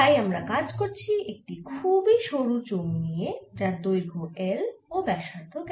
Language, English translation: Bengali, so we are really considering a very thin cylinder of length, l and radius r